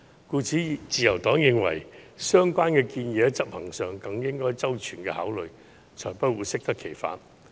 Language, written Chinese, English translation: Cantonese, 故此，自由黨認為相關建議在執行上需要更周全的考慮，才不會適得其反。, Hence the Liberal Party considers it necessary to give more careful consideration to the proposal before its implementation or it will only end up being counter - productive